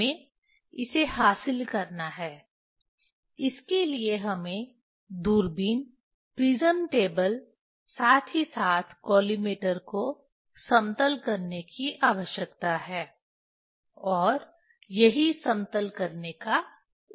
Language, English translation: Hindi, That is we have to achieve it for that we need leveling of telescope prism table as well as collimator that is the purpose of the leveling